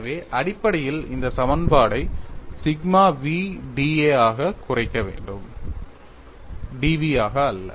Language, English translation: Tamil, So, essentially this equation should reduce to sigma v into d A not d v